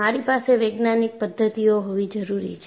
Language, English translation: Gujarati, I need to have a scientific methodology